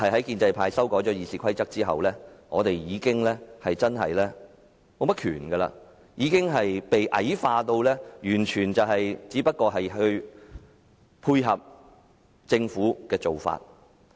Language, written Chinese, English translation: Cantonese, 建制派修改了《議事規則》後，立法會已經沒有甚麼權力，被矮化至只能配合政府的做法。, Following the amendment of RoP by pro - establishment Members the Legislative Council has been left with few powers being relegated to a position where it can only support government initiatives